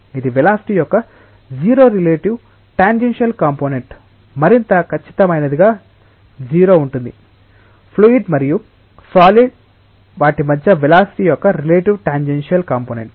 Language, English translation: Telugu, It is 0 relative tangential component of velocity to be more accurate 0 relative tangential component of velocity between the fluid and the solid at their points of contacts